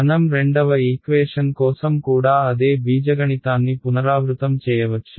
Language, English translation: Telugu, Very good I can repeat the same algebra for the second equation also right